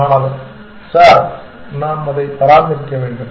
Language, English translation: Tamil, Student: Sir, we have to maintain it